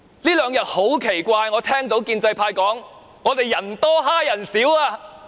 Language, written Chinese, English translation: Cantonese, 這兩天很奇怪，我聽到建制派說我們"人多欺人少"。, It has been quite strange in the past two days as the pro - establishment Members accuse us of being the majority who steamroller the minority